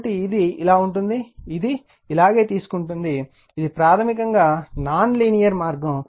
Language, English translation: Telugu, So, it is like this, it is taking like this right so, this is basically your non linear path right